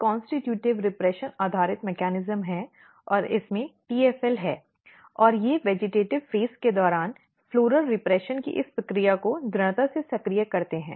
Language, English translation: Hindi, So, for example, if you look there is a constitutive repression based mechanism and basically it has the TFL in it; and they basically activate or they strongly activate this process of the floral repression during the vegetative phase